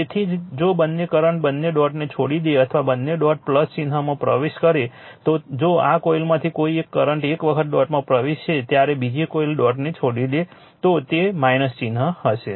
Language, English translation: Gujarati, So, that is why if the if the current leaves both the dot or enters both the dot plus sign, if the current either of this coil once it is entering the dot another is leaving the dot it will be minus sign right